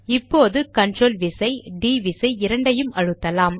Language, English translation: Tamil, Now press the Ctrl and D keys together